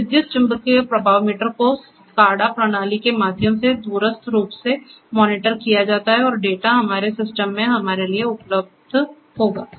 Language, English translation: Hindi, So, the electromagnetic flow meter is monitored remotely through the SCADA system and the data will be available to us in our system